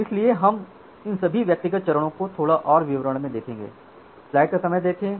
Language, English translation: Hindi, So, we will now look into all these individual steps in little more details